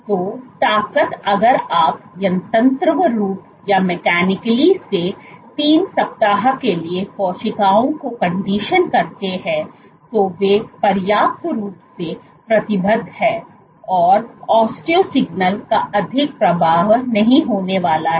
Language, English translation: Hindi, So, the strength if you mechanically condition the cells for 3 weeks, they are committed enough then the osteo signal is not going to have much of an effect